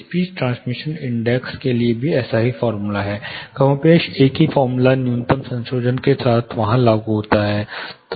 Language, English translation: Hindi, Similar formula is therefore, speech transmission index also, more or less the same formula applies there with a minimum you know little bit of modification